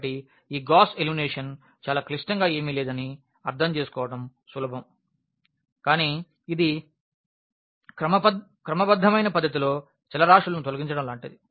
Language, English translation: Telugu, So, it is easy to understand that this Gauss elimination is nothing very very complicated, but it is like eliminating the variables in a systematic fashion